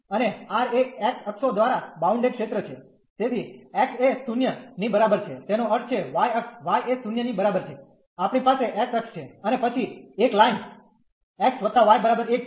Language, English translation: Gujarati, And R is the region bounded by the x axis, so x is equal to 0 that means, the y axis y is equal to 0 we have the x axis and then there is a line x plus y is equal to 1